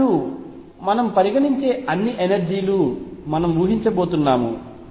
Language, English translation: Telugu, And we are going to assume that all energies we are considering are below V